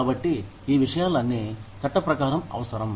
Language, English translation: Telugu, So, all of these things are required by law